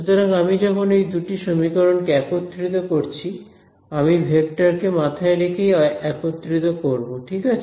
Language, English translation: Bengali, So, when I combine these two equations I must combine them keeping the vectors in mind right